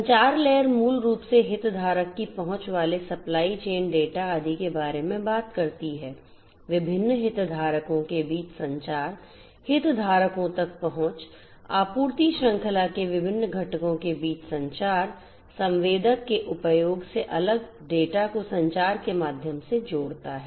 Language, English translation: Hindi, Communication layer basically talks about stakeholder access supply chain data etcetera etcetera, the communication between the different stakeholders access to the stakeholders, communication between the different components of the supply chain, connecting different data to the use of sensors from the sensors through the communication network, all of these things are required